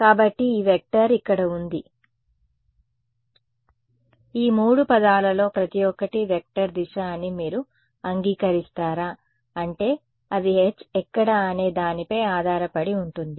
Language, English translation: Telugu, So, this vector over here, will you agree that these each of these 3 terms is a vector right direction is not clear I mean it depends on where H is right